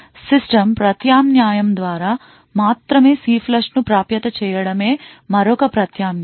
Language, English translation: Telugu, Another alternative is to make CLFLUSH accessible only through a system call